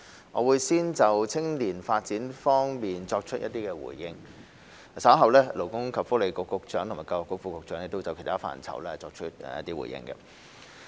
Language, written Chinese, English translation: Cantonese, 我會先就青年發展方面作出回應，稍後勞工及福利局局長和教育局副局長會就其他範疇作出回應。, I will first respond to the area of youth development and then the Secretary for Labour and Welfare and the Under Secretary for Education will respond to other areas